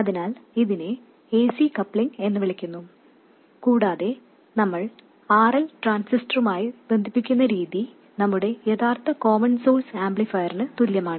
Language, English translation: Malayalam, So, this is known as AC coupling and the way we connect RL to the transistor is exactly the same as our original common source amplifier we connected through a capacitor